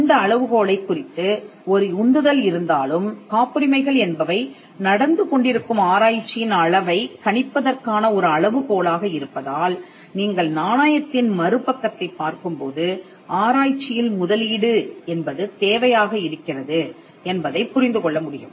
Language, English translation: Tamil, Though there is a push on this metric and patterns being a metric by which you can gauge the amount of research that is happening, you will find that the other side of the coin is that there has to be investment into research